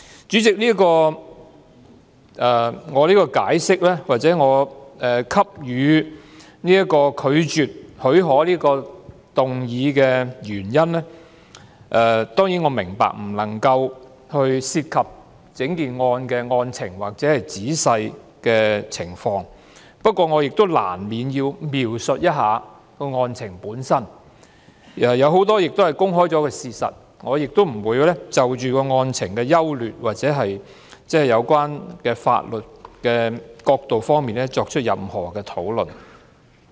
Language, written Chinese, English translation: Cantonese, 主席，我當然明白，在提出拒絕給予許可的議案的原因時，我不能夠談及整宗個案的案情或仔細的情況，不過，我亦難免要描述一下案情，當中有很多已是公開的事實，我亦不會就案情的優劣或有關法律的角度作出任何討論。, President I certainly understand that in giving the reasons for moving this motion that the leave be refused I cannot talk about the facts or details of the case . However I will inevitably touch on some facts of the case many of which are already available to the public; but I will not discuss the merits of the case or the legal perspectives at all